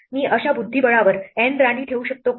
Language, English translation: Marathi, Can I place N queens on such a chessboard